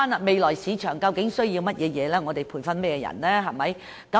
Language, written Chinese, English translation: Cantonese, 未來市場究竟需要甚麼人才，我們需要培訓甚麼人才？, What kind of talents do we need exactly for the future market and what kind of talents do we need to train?